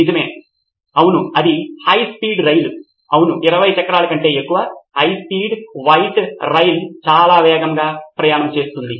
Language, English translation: Telugu, Right, yes that is high speed train yeah, high speed white train travel very fast obviously more than 20 wheels